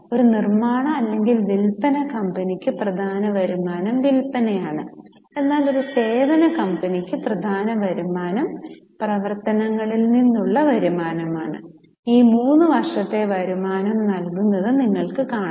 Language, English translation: Malayalam, So, for a manufacturing or a selling company, the main income is sales, but for a service company the main income is revenue from operations